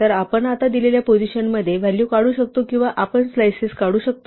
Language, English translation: Marathi, So, we can now extract values at a given position or we can extract slices